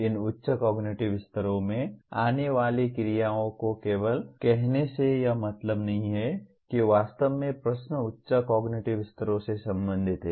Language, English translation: Hindi, By merely putting action verbs that come from these higher cognitive levels does not mean that actually the questions belong to higher cognitive levels